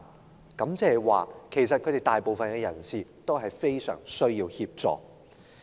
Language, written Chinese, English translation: Cantonese, 換言之，其實當中大部分人士非常需要協助。, In other words most of these people are actually in desperate need of assistance